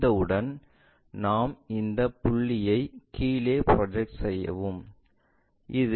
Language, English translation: Tamil, Once is done, we can project this point all the way down project all the way down